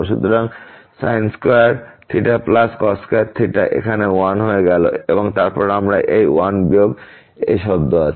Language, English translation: Bengali, So, that sin square theta plus cos square theta became 1 here, and then we have this 1 minus this term